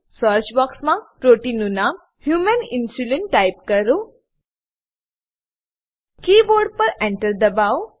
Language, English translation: Gujarati, In the search box type name of the protein as Human Insulin.Press Enter key on the keyboard